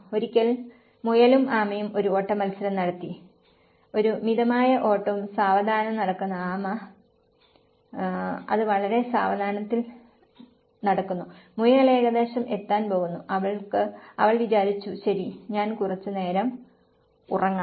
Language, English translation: Malayalam, Once the hare and tortoise kept a race; a mild race and hard tortoise was walking down very slowly and then it has just walking very slowly and the hare almost about to reach and she thought okay, I will sleep for some time